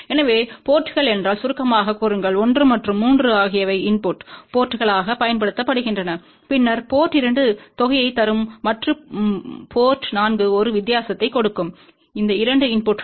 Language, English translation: Tamil, So, just you summarize if ports 1 and 3 are used as input ports, then port 2 will give sum and port 4 will give a difference of these 2 inputs